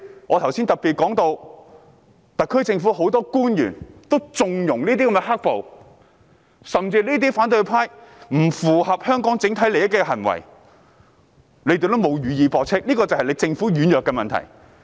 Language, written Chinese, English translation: Cantonese, 我剛才特別提到，特區政府很多官員也縱容"黑暴"，甚至對於反對派這些不符合香港整體利益的行為，他們亦未有予以駁斥，這就是政府軟弱之處。, Just now I have particularly mentioned that a number of officials of the SAR Government have connived at violent protesters and even failed to denounce those acts of the opposition camp which go against the overall interest of Hong Kong . This shows the feebleness of the Government